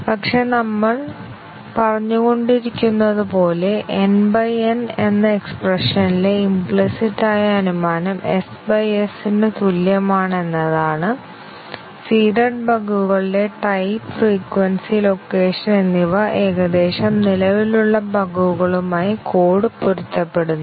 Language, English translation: Malayalam, But, as we have been saying that, the implicit assumption in the expression small n by capital N is equal to small s by capital S is that, the type, the frequency and location of the seeded bugs, roughly match to that of the bugs that are existing in the code